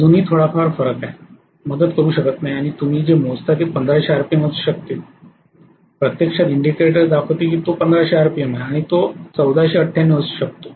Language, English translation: Marathi, Still there is a small difference, cannot help it and what you measure as the speed may be 1500 RPM actually the indicator shows it is 1500 it can be 1498 for what you know measuring error there can be